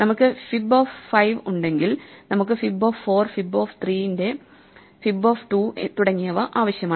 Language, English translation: Malayalam, If we have fib of 5, we need to fib of 4, fib of 3, fib of 2 and so on